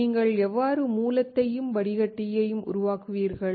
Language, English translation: Tamil, How you will create source and drain